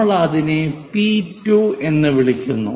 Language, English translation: Malayalam, So, call that one as P 2